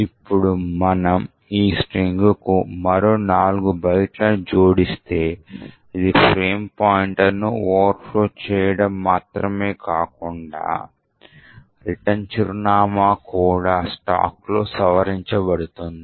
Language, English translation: Telugu, Now if we add 4 more bytes of A to this particular string, it would be not just the frame pointer but also the return address which gets modified on the stack